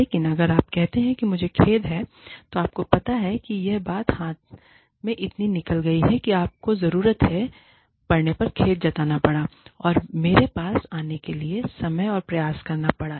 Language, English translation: Hindi, But, if you say, i am sorry, you know, the thing got, so much out of hand, that you had to take the need, sorry, you had to take the time and effort to come to me, and speak to me about it